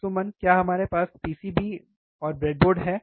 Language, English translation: Hindi, So, Suman do we have the PCB, breadboard